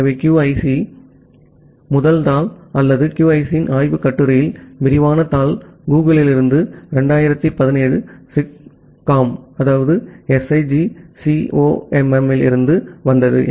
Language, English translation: Tamil, So, the first paper of QUIC or the detailed paper of research paper of QUIC that came from Google in 2017 SIGCOMM